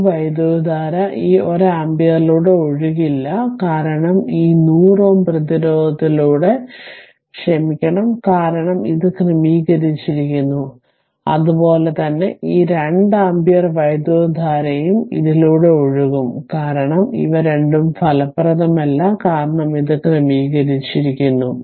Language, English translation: Malayalam, So, because it will this this current will not flow through this 1 ampere ah sorry through this 100 ohm resistance, because it is sorted and similarly this 2 ampere current also will flow through this, because these two are ineffective, because it is sorted